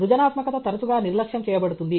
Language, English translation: Telugu, Creativity is often neglected